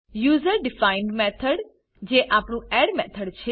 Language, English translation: Gujarati, User defined method that is our add method